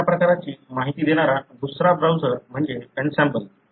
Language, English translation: Marathi, Another such browser that gives you that kind of information is Ensembl